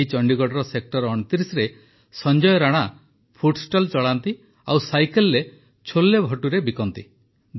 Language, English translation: Odia, In Sector 29 of Chandigarh, Sanjay Rana ji runs a food stall and sells CholeBhature on his cycle